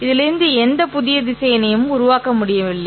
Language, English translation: Tamil, We are unable to generate any new vectors from this